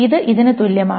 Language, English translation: Malayalam, This is equivalent to this